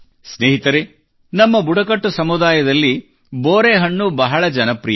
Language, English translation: Kannada, Friends, in our tribal communities, Ber fruit has always been very popular